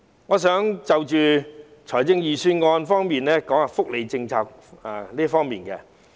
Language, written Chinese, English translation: Cantonese, 我想談談預算案中有關福利的政策。, I would like to discuss the welfare policy in the Budget